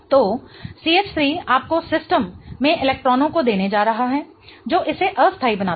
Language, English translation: Hindi, So, CH3 is going to give you electrons into the system making it unstable